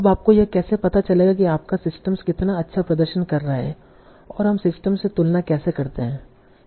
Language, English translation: Hindi, Now how do you find out how good your system is performing and how do you compare with other systems